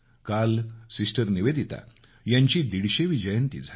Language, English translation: Marathi, Yesterday was the 150th birth anniversary of Sister Nivedita